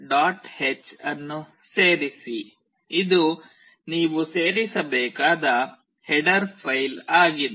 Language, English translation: Kannada, h this is the header file that you need to include